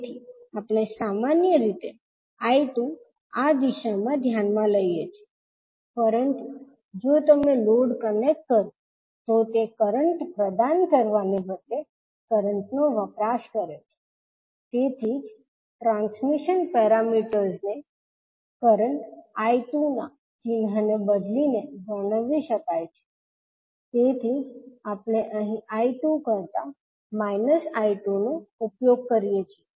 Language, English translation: Gujarati, So I 2 we generally consider in this direction, but since the load if you connect consumes current rather than providing current so that is why the transmission parameters can best be described by reversing the sign of current I 2 so that is why we use here minus I 2 rather than I 2